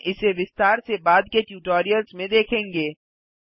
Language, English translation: Hindi, We will see this in detail in later tutorials